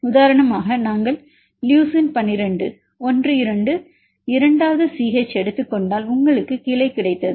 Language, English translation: Tamil, For example, if we take the leucine 1 2, 1 2 second CH you got the loop the branch